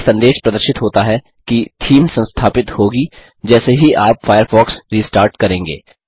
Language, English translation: Hindi, A message that the theme will be installed once you restart Firefox is displayed